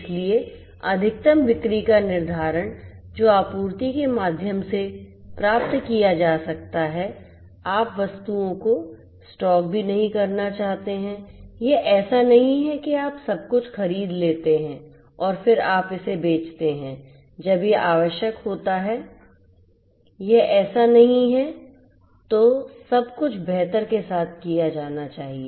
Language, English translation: Hindi, So, determining that and the optimum sale that would can be achieved through the supply you do not want to even stock the items you know it is not like you know you procure everything stock it up and then you sell you know as an when it is required not like that, so everything has to be done optimally